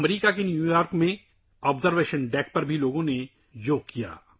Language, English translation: Urdu, People also did Yoga at the Observation Deck in New York, USA